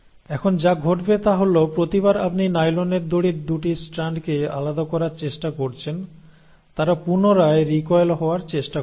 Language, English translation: Bengali, Now what will happen is, every time you are trying to pull apart the 2 strands of the nylon rope, they will try to recoil back